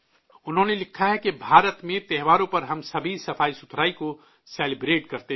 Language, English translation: Urdu, She has written "We all celebrate cleanliness during festivals in India